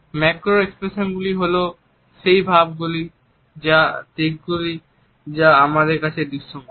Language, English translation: Bengali, Macro expressions are those expressions and aspects of body language which are visible to us